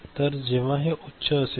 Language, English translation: Marathi, So, when these are high